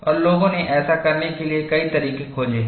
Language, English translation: Hindi, And people have found various ways to do that